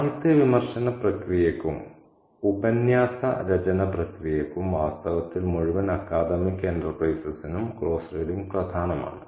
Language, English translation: Malayalam, Close reading is very, very important to this process of literary criticism and to the process of essay writing and in fact to the whole academic enterprise